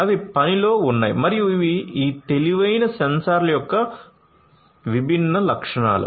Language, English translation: Telugu, They are in the works and these are the different features of these intelligent sensors